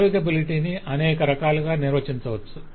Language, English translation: Telugu, so navigability can be defined in multiple different ways